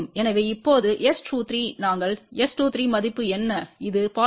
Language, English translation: Tamil, So, now, S 23 we know what is the value of S 23 which is 0